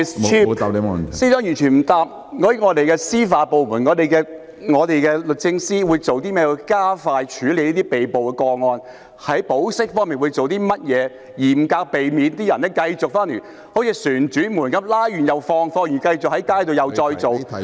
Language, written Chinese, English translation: Cantonese, 司長完全未有回答我們的司法部門律政司有何方法加快處理被捕個案及在保釋方面有何措施，嚴格防止出現"旋轉門"的情況，即被捕人士獲保釋後繼續上街生事......, The Chief Secretary absolutely did not answer what methods our judicial department the Department of Justice DoJ has for expediting the processing of the arrestees cases and what measures are in place in respect of bail to strictly prevent the occurrence of a revolving door ie . the arrestees having been granted bail continue to take to the streets to stir up troubles